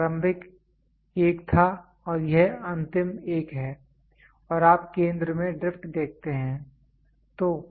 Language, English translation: Hindi, This was the initial one and this is the final one and you see drift in the center